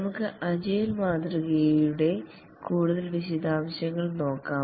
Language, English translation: Malayalam, Let's look at more details of the agile model